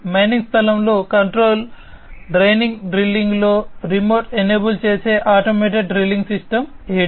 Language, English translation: Telugu, And the automated drilling system ADS, which enables in the remote enables in the remote operations, in the control draining drilling in the mining space